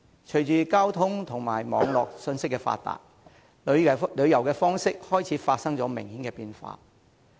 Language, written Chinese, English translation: Cantonese, 隨着交通和網絡信息發達，旅遊的方式開始發生明顯的變化。, With the advancements in transport and the information boom on the Internet the modes of tourism have started to undergo noticeable changes